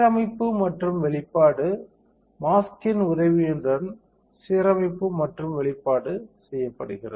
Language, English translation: Tamil, So, alignment and exposure; alignment and exposure is done with the help of mask